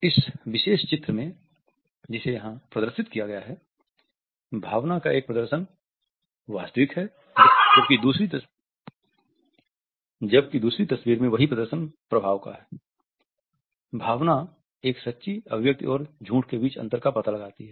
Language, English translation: Hindi, The particular picture which has been displayed here in which one display of emotion is real whereas, in the second picture the same display is of effect; emotion finds out the difference between a true expression and the detection of a lie